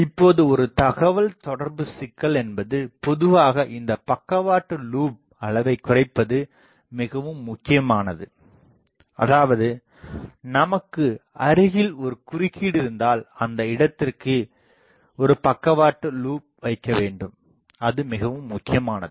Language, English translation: Tamil, Now, in a communication problem generally this side lobe level reduction is more important; that means, if you have an interferer nearby then you want to put a side lobe to that place that is more important